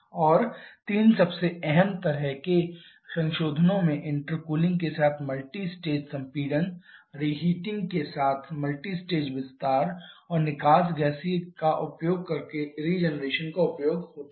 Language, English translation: Hindi, And the 3 most common kind of modifications are multistage compression with intercooling, multistage expansion with reheating and the use of regeneration using the exhaust gaseous